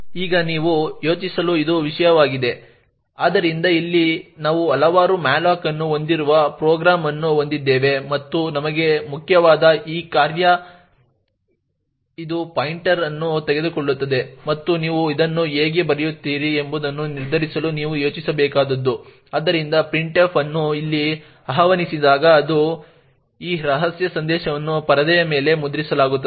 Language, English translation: Kannada, Now this is something for you to think about, so over here we have a program which has several malloc and frees important for us is this function my malicious function which takes the pointer e further what you need to think about is to determine how you would write this my malicious function, so that when printf gets invoked over here it is this secret message get that gets printed on the screen